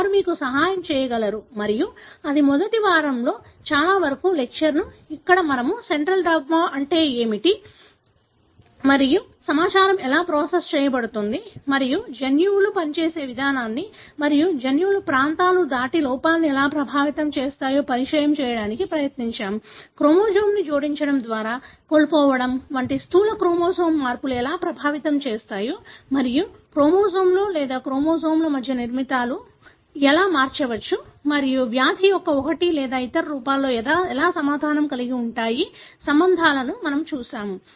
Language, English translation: Telugu, They will be able to help you and that is pretty much the lecture for the first week, wherein we tried to introduce what is central dogma, how the information is processed and how defects there might affect the way the genes function and beyond regions of genes, we have looked at how gross chromosomal changes, either addition or loss of chromosome, can affect and even within a chromosome or between chromosomes, how the structures may alter and may associate with one or the other forms of the disease